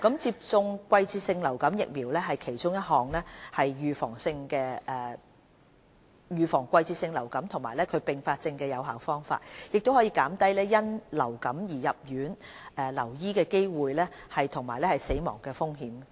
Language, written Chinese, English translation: Cantonese, 接種季節性流感疫苗是其中一種預防季節性流感及其併發症的有效方法，也可減低因流感而入院留醫的機會和死亡的風險。, Vaccination is one of the effective means to prevent seasonal influenza and its complications and can reduce the risks of influenza - associated hospitalization and mortality